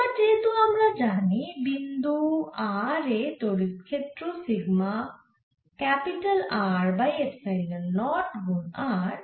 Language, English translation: Bengali, so now, because we know the electric field at point r is sigma capital r over epsilon naught into r